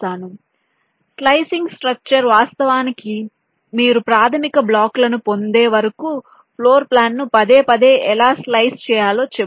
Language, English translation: Telugu, so slicing structure actually tells you how to slice a floor plan repeatedly until you get the basic blocks